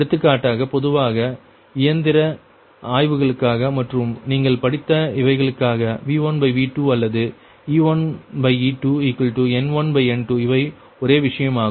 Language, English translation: Tamil, by this you know right, for example, generally for machine studies and these that your studied, v upon v two or e, one upon e to is equal to n one or a n two, same thing, right